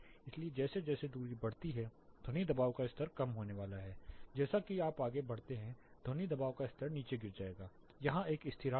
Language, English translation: Hindi, So, as the distance increases the sound pressure level is going to come down, as you go further the sound pressure level will drop down there is a constant here